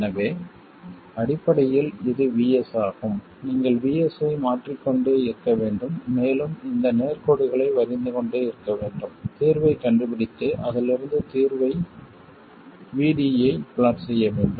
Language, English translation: Tamil, So essentially this is VS, you have to keep varying VS and keep drawing these straight lines, find the solution and plot the solution VD from that one